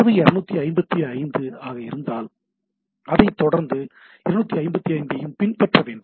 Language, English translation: Tamil, So, if the data itself is a 255, then it should be followed by another 255